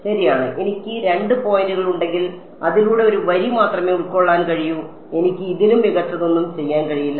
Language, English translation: Malayalam, Right so, if I have two points I can only fit a line through it I cannot do anything better fine ok